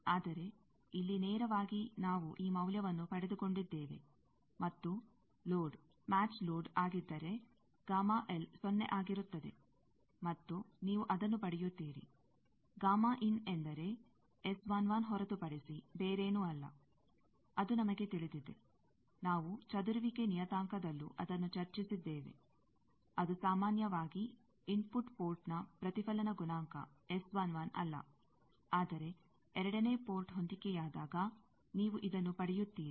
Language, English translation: Kannada, But here, there is, directly we have got this value, and when that matched load, when gamma for, if the load is a matched load then gamma L will be 0; and, you will get that, gamma IN is nothing but S 1 1; that we know; that we have discussed in scattering parameter also; that, generally, reflection coefficient that the input port is not S 1 1, but, under second port matched, you get this